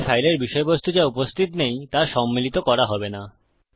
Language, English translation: Bengali, So the content of the file which doesnt exist, wont be included